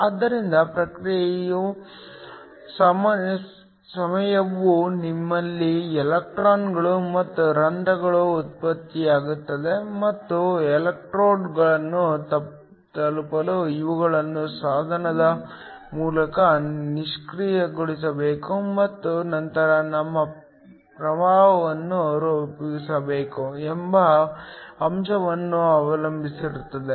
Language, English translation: Kannada, So the response time depends on the fact that you have electrons and holes that are generated and these must defused through the device in order to reach the electrodes and then form your current